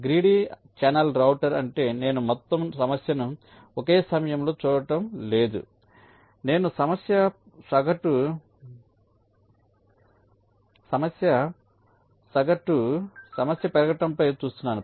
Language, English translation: Telugu, greedy channel router means i am not looking at the whole problem at the same time